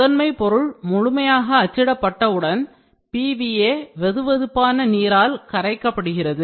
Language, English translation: Tamil, Once the primary objective fully printed the PVA is simply dissolved away by warm water